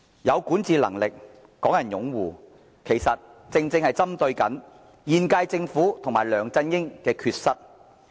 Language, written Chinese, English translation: Cantonese, 有管治能力、港人擁護，這些條件正正針對現屆政府及梁振英的缺失。, The criteria of having administration ability and support of the people of Hong Kong are targeted at the inadequacies of the incumbent Government and LEUNG Chun - ying